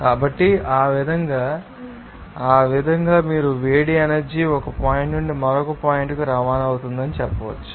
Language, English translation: Telugu, So, in that way you can say that the heat energy will be you know transport from one point to another point